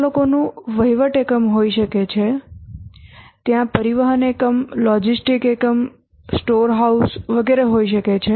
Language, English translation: Gujarati, There may be administrators, administration unit, there may be transportation unit, logistic units, storehouse, etc